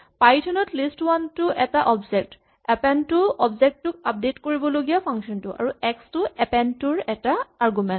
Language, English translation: Assamese, In a Python terminology list1 is an object and append is a function to update the object and x is supposed to be an argument to the function append